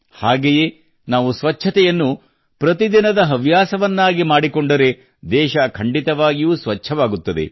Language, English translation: Kannada, Similarly, if we make cleanliness a daily habit, then the whole country will become clean